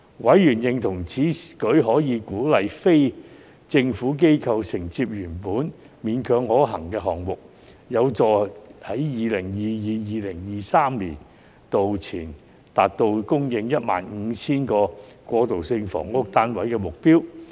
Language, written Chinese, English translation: Cantonese, 委員認同此舉可鼓勵非政府機構承接原本勉強可行的項目，有助在 2022-2023 年度前達到供應 15,000 個過渡性房屋單位的目標。, Members agreed that this initiative could encourage NGOs to undertake projects with marginal viability which would help meet the target of supplying 15 000 transitional housing units by 2022 - 2023